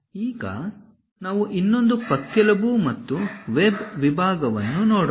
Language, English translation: Kannada, Now, let us look at another rib and web section